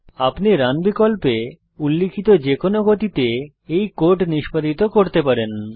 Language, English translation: Bengali, You can execute this code at any of the speeds specified in the Run option